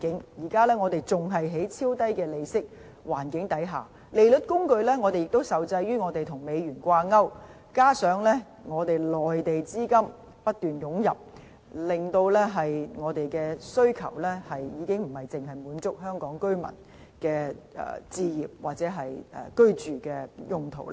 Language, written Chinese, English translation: Cantonese, 現時經濟仍處於超低利息環境，利率工具也受制於港元與美元掛鈎，加上內地資金不斷湧入，令房屋需求已不僅限於香港居民的置業或居住用途。, Under the prevailing ultra - low interest rate environment interest rates as a tool are still bound by the peg between the Hong Kong dollar and the United States dollar . Moreover with the constant inflow of funds from the Mainland housing demand is no longer generated solely by local residents for home ownership or accommodation purpose